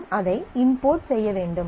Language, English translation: Tamil, So, you need to import that